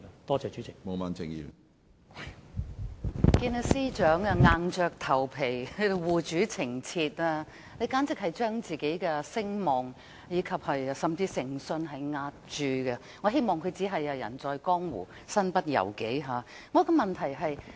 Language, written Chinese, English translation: Cantonese, 我看見司長在這裏硬着頭皮護主情切，簡直將他個人的聲望和誠信押注，我希望他只是"人在江湖，身不由己"。, I can see how helplessly and desperately the Chief Secretary for Administration tries to defend his master . He is practically using his reputation and integrity as the bets . I really hope that he is only forced by his position to do so